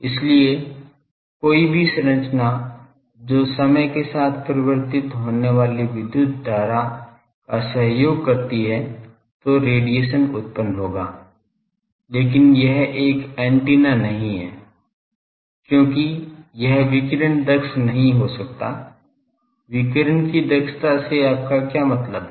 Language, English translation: Hindi, So, any structure that supports time varying electric current that will radiate, but that is not an antenna because that radiation may not be efficient; what do you mean by efficiency of radiation